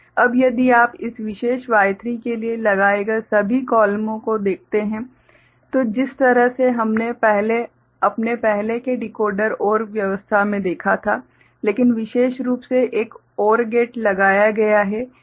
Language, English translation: Hindi, Now, if you look at all the columns put together for this particular Y3, the way we had seen in our earlier Decoder OR arrangement, but specifically a OR gate is put